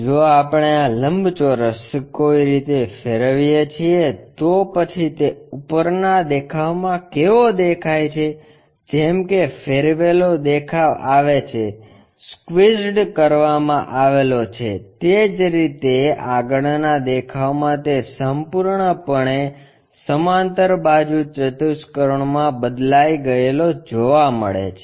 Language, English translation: Gujarati, If we rotate it this rectangle the way how it is visible from the top view is rotated, squeezed up, similarly in the front view that completely changes to a parallelogram